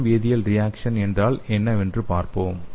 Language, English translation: Tamil, So let us see what is the electro chemical reactions